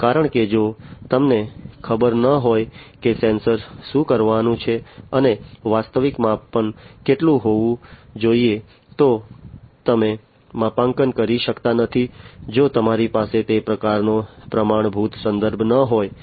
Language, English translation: Gujarati, Because if you do not know what the sensor is supposed to do and how much the actual measurement should be, then you cannot do the calibration, you know, if you do not have that kind of standard reference